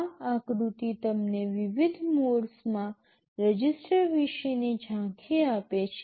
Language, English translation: Gujarati, This diagram gives you an overview about the registers in the different modes